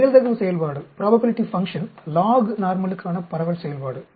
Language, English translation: Tamil, The probability function, distribution function for the lognormal